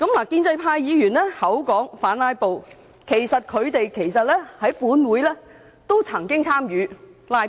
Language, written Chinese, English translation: Cantonese, 建制派議員口說反"拉布"，但他們在本會其實都曾參與"拉布"。, Members of the pro - establishment camp always say that they oppose filibustering but they have actually engaged in filibustering in this Council